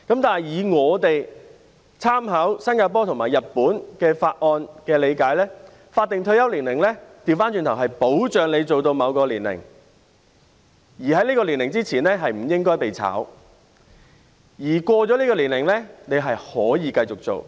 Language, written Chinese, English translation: Cantonese, 但是，我們在參考新加坡和日本的法例後的理解是，剛好相反，法定退休年齡是保障你可工作到某個年齡，在這個年齡之前，不應被解僱，而超過這個年齡也可以繼續工作。, However our understanding after drawing reference from the laws in Singapore and Japan is that quite the contrary the statutory retirement age guarantees that one can work until a certain age and before reaching this age one should not be dismissed and one can also continue to work beyond this age